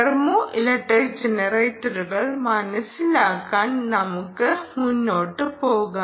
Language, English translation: Malayalam, let's move on to understanding thermoelectric generators